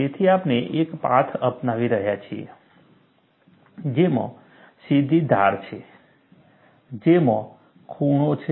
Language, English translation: Gujarati, So, we are taking a path which has straight edges, which has corners, all that is permissible